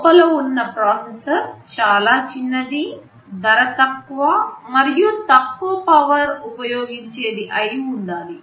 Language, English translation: Telugu, The processor that is inside has to be low cost it has to be low power, it has to be small in size